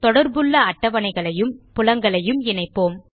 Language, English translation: Tamil, We will connect the related tables and fields